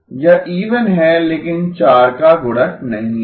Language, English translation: Hindi, It is even but not multiple of 4